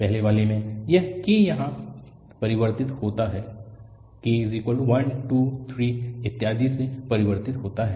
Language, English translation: Hindi, In the first one, this k varies here, k varies from 1, 2, 3, and so on